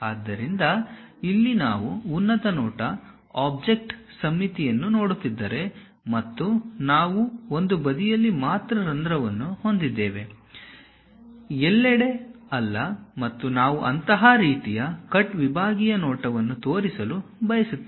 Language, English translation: Kannada, So, here if we are looking the top view, object symmetric and we have hole only on one side, not everywhere and we would like to show such kind of cut sectional view